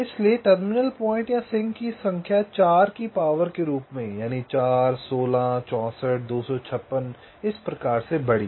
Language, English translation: Hindi, so number of terminal points or sinks grew as a power of four, four, sixteen, sixty four, two, fifty, six and so on